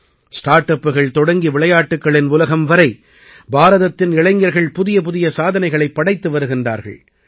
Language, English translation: Tamil, From StartUps to the Sports World, the youth of India are making new records